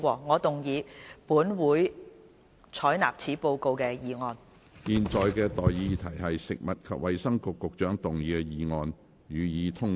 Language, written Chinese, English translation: Cantonese, 我現在向各位提出的待議議題是：食物及衞生局局長動議的議案，予以通過。, I now propose the question to you and that is That the motion moved by the Secretary for Food and Health be passed